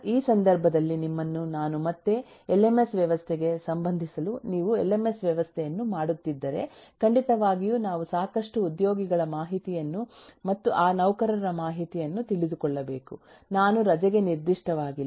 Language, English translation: Kannada, in this context, if you are doing the lms system, certainly we need to know lot of employee information and those employee information i am not specific to the leave